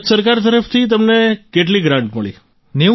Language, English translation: Gujarati, So how much grant did you get from the Government of India